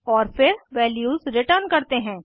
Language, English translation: Hindi, Then we give the return type